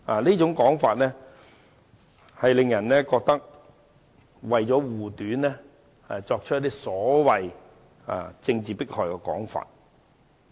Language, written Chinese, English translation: Cantonese, 這種說法不禁令人覺得有人為了護短，才提出所謂政治迫害的說法。, Such remark about political persecution will give people the impression that someone is trying to cover up the fault